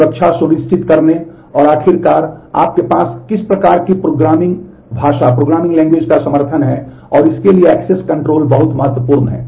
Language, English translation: Hindi, Access control is very important for ensuring security and finally, what kind of programming language support do you have